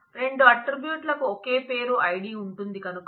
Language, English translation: Telugu, Since both of the attributes have the same name id